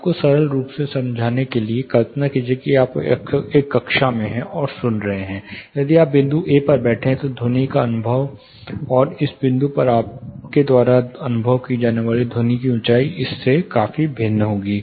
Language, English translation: Hindi, To give you a very simple form of representation, this would imagine you are in a classroom, listening if you are seated here, the kind of you know sound experience, and the loudness of the sound, you experience in this point say point A, would be considerably different from this particular point B